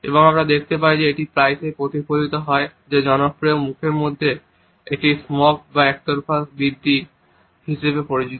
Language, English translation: Bengali, And we find that it is often reflected in what is popularly known as a smirk or one sided raise in the mouth